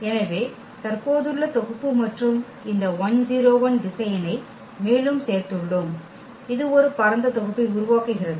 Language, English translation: Tamil, So, the existing set and we have added one more this vector 1 0 1 and this is also forming a spanning set